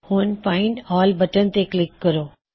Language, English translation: Punjabi, Now click on Find All